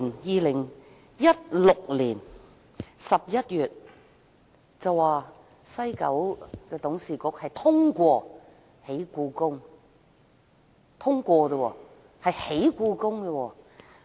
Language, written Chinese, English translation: Cantonese, 2016年11月，政府表示西九文化區管理局董事局通過興建故宮館。, In November 2016 the Government stated that the Board of the West Kowloon Cultural District Authority WKCDA had approved the development of HKPM